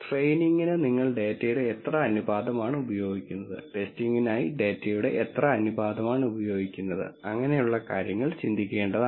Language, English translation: Malayalam, What proportion of data you use for training, what proportion of data used for testing and so on are things to think about